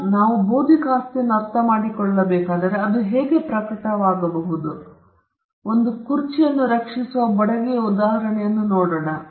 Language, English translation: Kannada, Now, if we need to understand intellectual property, how it can manifest, we could have the example of a carpenter creating a chair